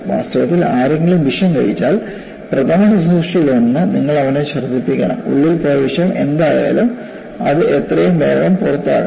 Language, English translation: Malayalam, In fact, if somebody gulps a poison, one of the first aid is, you have to make him vomit, so that, whatever that the poison that has gone into the system, that should be expelled as quickly as possible